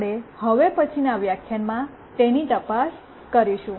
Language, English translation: Gujarati, We will look into that in the next lecture